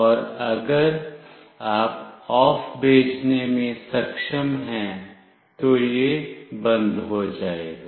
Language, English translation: Hindi, And if you are able to send “OFF”, it will be switched off